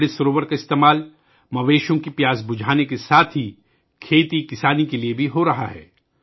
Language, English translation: Urdu, Amrit Sarovars are being used for quenching the thirst of animals as well as for farming